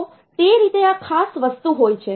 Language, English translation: Gujarati, So, that way this is the special thing